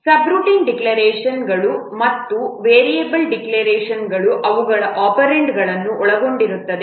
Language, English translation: Kannada, The subroutine declarations and variable declarations they comprise the operands